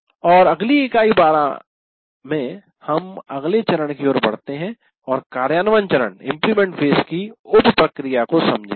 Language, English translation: Hindi, And in the next unit, unit 12, we try to now move on to the next one, the understand the sub process of implement phase